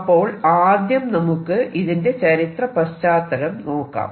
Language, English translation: Malayalam, So, let me just write this historical background